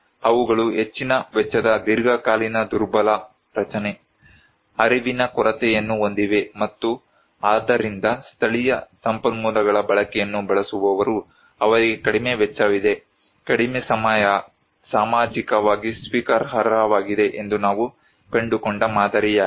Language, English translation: Kannada, Therefore, they have high cost long time vulnerable structure, lack of awareness and so it is creating that lesser cause that those who use utilization of local resources, they have less cost, short time socially acceptable that was the model we found